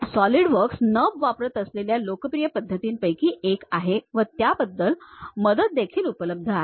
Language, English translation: Marathi, One of the popular method what Solidworks is using NURBS, this support is available